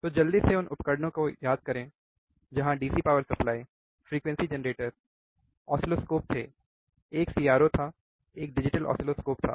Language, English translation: Hindi, So, just quickly let us recall the equipment where DC power supply, frequency generator, we had oscilloscopes, one was CRO, one was digital oscilloscope